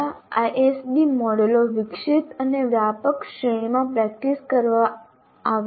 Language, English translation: Gujarati, Here, there are several ISD models developed and practiced in a wide range of context